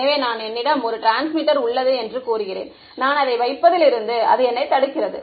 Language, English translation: Tamil, So, let us say I have one transmitter over here, what prevents me from putting